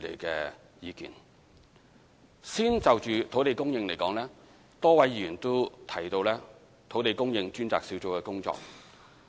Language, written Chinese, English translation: Cantonese, 首先，就土地供應而言，多位議員都提到土地供應專責小組的工作。, First of all on land supply many Members have talked about the work of the Task Force on Land Supply